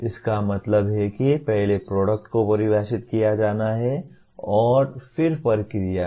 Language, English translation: Hindi, That means first the product has to be defined and then the process